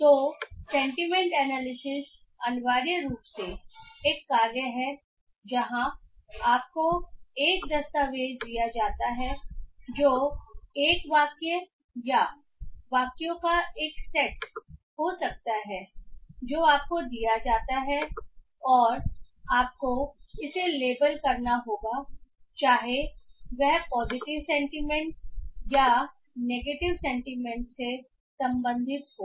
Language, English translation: Hindi, So, sentiment analysis is essentially a task where you are given a document which can be a sentence or a set of sentences and you are given with and you have to label it whether it belongs to a positive sentiment or a negative sentiment